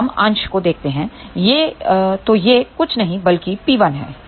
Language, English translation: Hindi, So, let us look at the numerator it is nothing but P 1